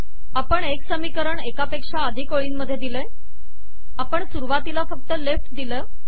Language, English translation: Marathi, When we have one equation split into multiple lines, we will have to put only the left on the first